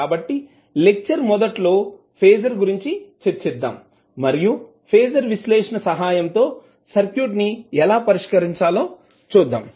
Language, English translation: Telugu, So, in the initial lectures we discussed what is phasor and how we will solve the circuit with the help of phasor analysis